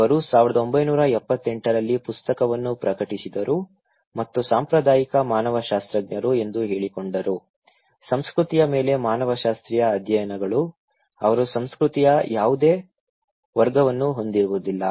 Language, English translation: Kannada, She published a book in 1978 and claiming that the traditional anthropologists; anthropological studies on culture, they are lacking any category of culture